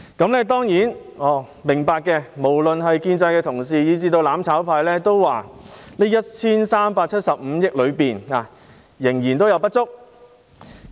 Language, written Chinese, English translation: Cantonese, 我們當然明白，無論是建制派的同事以至"攬炒派"均認為這 1,375 億元仍然有不足之處。, We certainly understand that both Honourable colleagues of the pro - establishment camp and even the mutual destruction camp consider this sum of 137.5 billion still insufficient